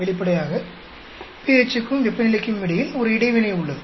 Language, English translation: Tamil, Obviously, there is an interaction between pH and temperature